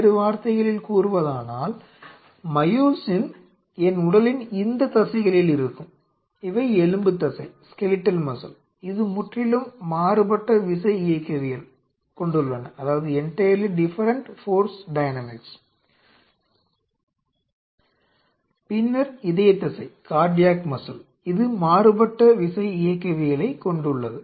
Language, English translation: Tamil, In other word what I mean to say is the myosin present in these muscles of my body, which are the skeletal muscle are entirely different force dynamics, then the force dynamics of the cardiac cells or cardiac myosin which are present